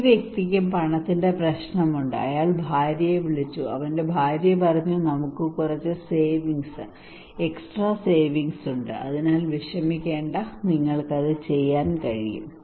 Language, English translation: Malayalam, This person also have monetary problem, and he called his wife, his wife said that we have some savings extra savings so do not worry you can do it